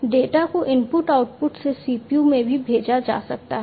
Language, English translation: Hindi, The data could also be sent from the input output to the CPU